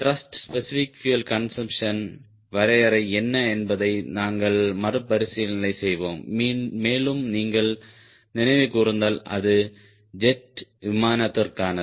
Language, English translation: Tamil, let us revisit what is the definition of thrust specific fuel consumption and if you recall it is for jet